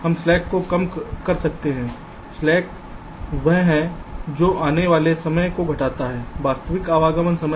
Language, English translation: Hindi, you see, just to recall, slack is defined as required arrival time minus actual arrival time